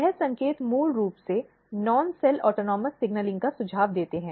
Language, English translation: Hindi, So, this signals basically suggest the non cell autonomous signaling